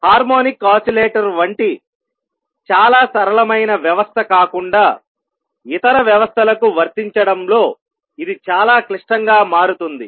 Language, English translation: Telugu, It becomes quite complicated in applying to systems other than very simple system like a harmonic oscillator